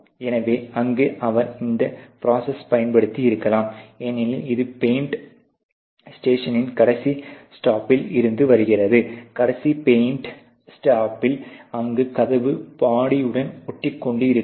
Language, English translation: Tamil, So, there he may have used this process ok, because it is coming from the last step of the paint step, last paint step where there is a possibility of sticking of the door with the body